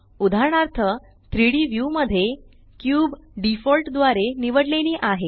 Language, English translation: Marathi, For example, the cube is selected by default in the 3D view